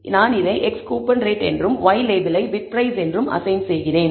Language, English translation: Tamil, So, I am assigning it as x “Coupon Rate" and y label I am assigning it as “Bid Price"